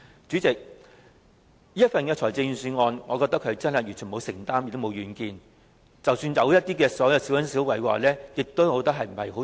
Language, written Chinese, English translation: Cantonese, 主席，我覺得這份預算案完全沒有承擔，亦沒有遠見，即使有一些小恩小惠亦幫助不大。, President I think Budget this year is completely devoid of any commitment and vision . The small favours are of very little help